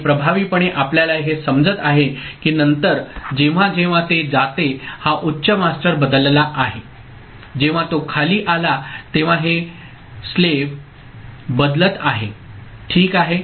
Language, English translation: Marathi, And effectively then we are getting that whenever it goes it was high master has changed whenever it has gone low this slave is changing ok